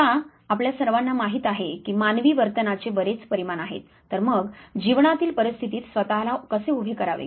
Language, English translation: Marathi, Now, we all know that there are you know large number of dimensions of human behavior, now how to position yourself in the given life circumstances